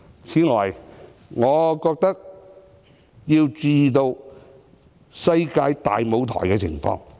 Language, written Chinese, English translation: Cantonese, 此外，我認為要注意世界大舞台的情況。, Furthermore I think we have to pay attention to what is happening in the international arena